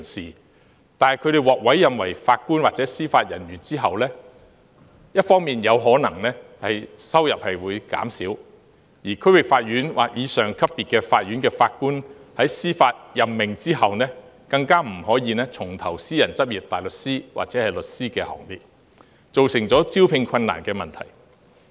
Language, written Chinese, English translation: Cantonese, 然而，他們獲委任為法官或司法人員後，不但收入會減少，而且在接受區域法院或以上級別法院的法官的司法任命後，更不可以重投私人執業大律師或律師的行列，以致造成招聘困難。, However after they are appointed as JJOs not only will they earn less than before but they cannot return to private practice as a barrister or solicitor after judicial appointments as District Court level judges and above . This has resulted in recruitment difficulties